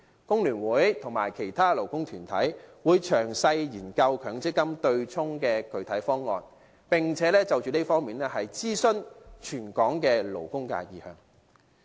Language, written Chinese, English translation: Cantonese, 工聯會和其他勞工團體會詳細研究強積金對沖的具體方案，並且就這方面諮詢全港勞工界的意向。, FTU and other labour groups will study in detail the concrete proposal on the MPF offsetting arrangement and will consult the opinions of the labour sector in Hong Kong in this regard